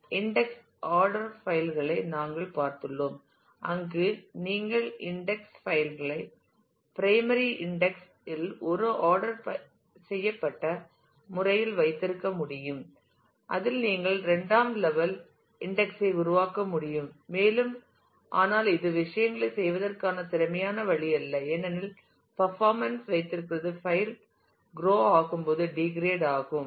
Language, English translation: Tamil, We have seen the index sequential files, where you could keep the index file in a sorted manner in the primary index you could build secondary index on that and so, on, but that is not an efficient way of doing things, because the performance keeps on degrading as the file grows